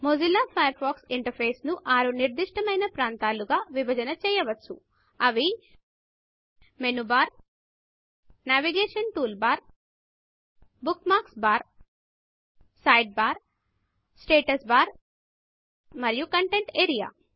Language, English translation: Telugu, The Mozilla Firefox interface can be split up into 6 distinct areas, namely The Menu bar the Navigation toolbar the Bookmarks bar the Side bar the Status bar and the Content area Lets look at each of these and learn what it does